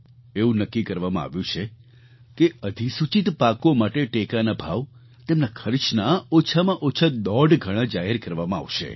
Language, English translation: Gujarati, It has been decided that the MSP of notified crops will be fixed at least one and a half times of their cost